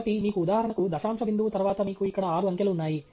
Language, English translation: Telugu, So, you have, for example, after the decimal point, you have six digits here